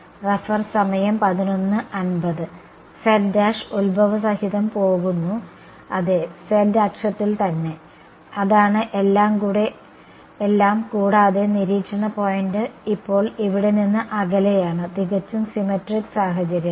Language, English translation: Malayalam, z prime goes along the origin yeah, along the z axis itself that is all and the observation point is now a distance a away here, totally symmetric situations